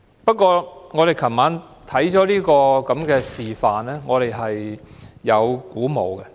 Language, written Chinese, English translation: Cantonese, 不過，我們昨晚參觀這個示範後，我們仍然感到鼓舞。, Nevertheless after the visit yesterday we still find it encouraging